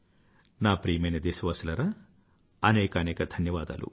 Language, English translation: Telugu, My dear countrymen, thank you very much